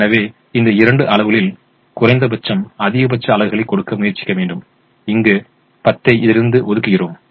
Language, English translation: Tamil, so we try to give the maximum, which is the minimum of these two quantities, and we allocate a ten here